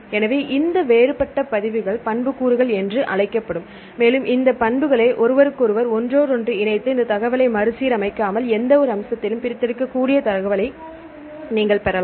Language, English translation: Tamil, So, this would different records are called attributes, and these attributes are interlinked to each other say without rearranging this information you can fetch the data we can extract to data on any aspect